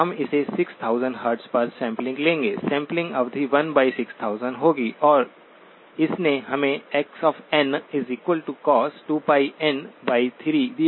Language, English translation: Hindi, We will sample it at 6000 Hz, sampling period will be 1 by 6000 and this gave us X of n equals cosine 2pi by 3 times n